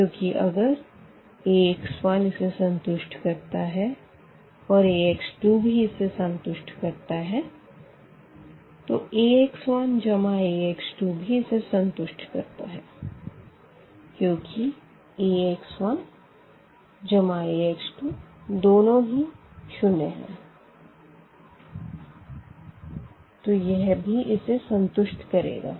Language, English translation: Hindi, Because A and if x 1 satisfy this and A and the x 2 also will satisfy this and then the A and this x 1 plus x 2 will also satisfy that equation because Ax 1 plus Ax 2 both are the 0, 0 so, that will also satisfy